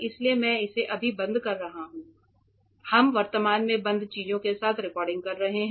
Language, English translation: Hindi, So, that is why I am just switching it off that is why we are recording presently with things switched off